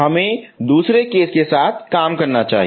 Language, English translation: Hindi, Let us work out with the case 2